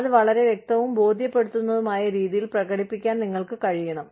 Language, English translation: Malayalam, But, you have to be able to demonstrate that in a, in a very crystal clear, convincing manner